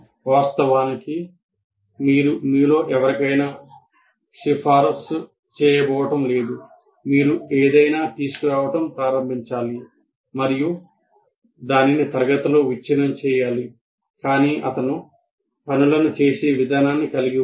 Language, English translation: Telugu, So, of course, you are not, we are not going to recommend to any of you that you should start bringing something and break it in the class, but he had his way of doing things